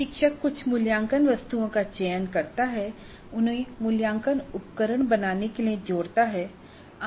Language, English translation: Hindi, The instructor selects certain assessment items, combines them to form the assessment instrument